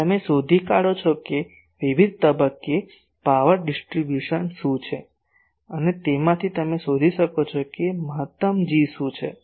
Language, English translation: Gujarati, You find what is the power distribution at various point and from that you can find out what is the maximum G